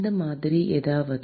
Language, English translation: Tamil, Like something like this